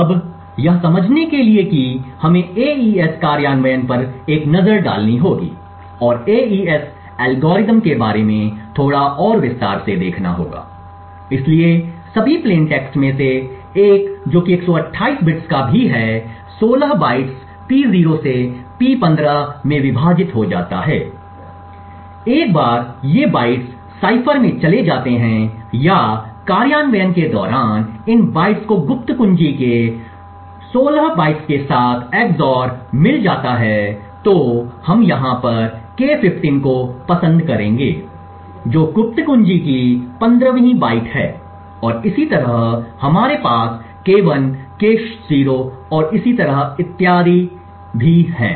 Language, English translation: Hindi, Now to understand what would happen we have to take a look at the AES implementation and a little more in detail about the AES algorithm, so 1st of all the plain text which is also of 128 bits is split into 16 bytes P0 to P15, once these bytes go into the cipher or during the implementation is that these bytes get XOR with 16 bytes of the secret key, so we will have like K15 over here which is the 15th byte of the secret key and similarly we have K1, K0 and so on